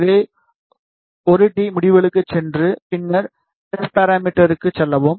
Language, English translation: Tamil, So, just go to one day results and then go to S parameter